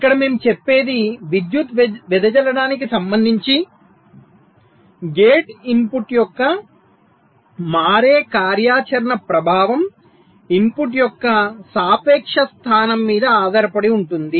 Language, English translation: Telugu, so we here, what we says is that the impact of the switching activity of a gate input with respect to power dissipation depends on the relative position of the input